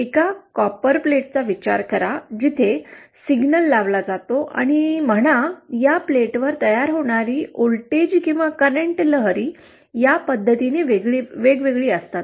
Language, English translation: Marathi, Consider a single copperplate where a signal is applied and say the voltage or current wave that is formed on this plate varies in this fashion